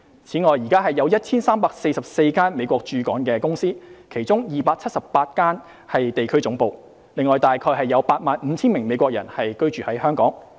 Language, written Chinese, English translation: Cantonese, 此外，現時有 1,344 家美國駐港公司，其中278家是地區總部，另約有 85,000 名美國人在港居住。, Moreover there are 1 344 United States companies in Hong Kong of which 278 are regional headquarters . Around 85 000 United States citizens also live in Hong Kong